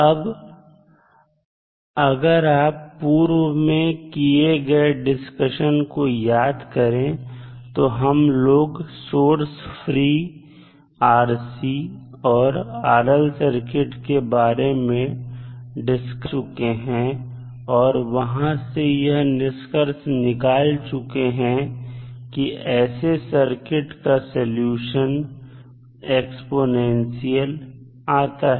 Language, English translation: Hindi, Now, if you see that the previous discussion what we did when we discussed about the source free response of rl circuit and rc circuit we came to know that typically the solution of these kind of circuits is exponential